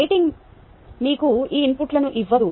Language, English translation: Telugu, simply, the rating doesnt give you these inputs